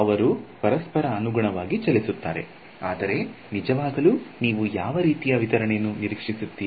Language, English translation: Kannada, They will move according to each other, but intuitively what kind of distribution do you expect